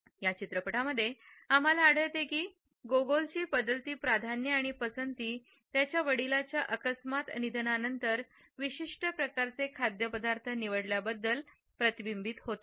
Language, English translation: Marathi, In this movie we find that Gogol’s changing preferences are reflected in his opting for a particular type of a food after the sudden death of his father